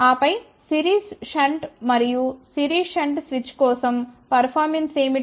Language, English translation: Telugu, And then we had seen that for series shunt and series shunt switch what are the performances